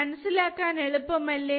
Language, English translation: Malayalam, It is easy to remember